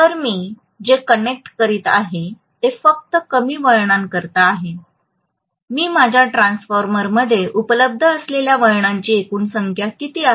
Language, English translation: Marathi, So what I am connecting is only to lesser number of turns then what is the total number of turns that are available in my transformer